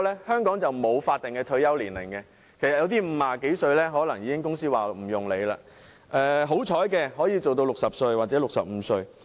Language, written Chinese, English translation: Cantonese, 香港沒有法定的退休年齡，有些人50多歲已被公司迫退，好運的人或可工作到60歲或65歲。, There is no statutory retirement age in Hong Kong . Some people are forced to retire by employers in their 50s while some lucky ones may be able to work until the age of 60 or 65